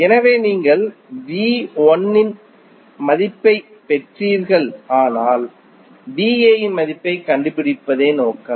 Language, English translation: Tamil, So, you got the value of V 1 but your objective is to find the value of V A